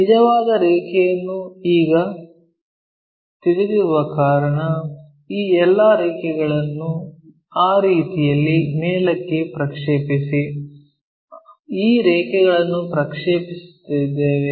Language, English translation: Kannada, Because we already know this true line now, project all these lines up in that way we project these lines